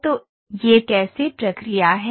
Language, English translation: Hindi, So, this is how the procedure is